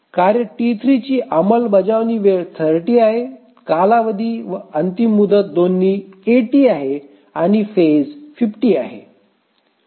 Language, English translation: Marathi, And task T3, the execution time is 30, the period and deadline are both 80 and the phase is 50